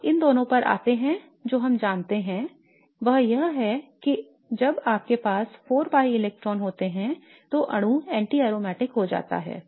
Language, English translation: Hindi, Now coming to these two what we know is that when you have four pi electrons then the molecule becomes anti aromatic